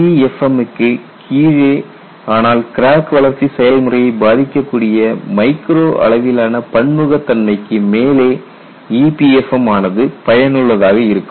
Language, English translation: Tamil, And what we could do is possibly below the LEFM regime, but above the micro scale heterogeneity which can influence the crack growth process EPFM would be effective